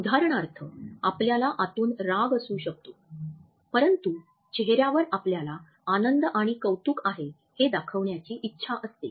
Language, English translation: Marathi, For example, we may feel angry inside, but on the face we want to show our pleasure and appreciation